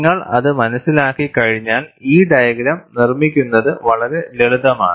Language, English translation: Malayalam, Once you understand it, constructing this diagram is fairly simple